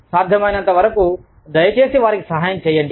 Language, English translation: Telugu, But, as far as possible, please help them out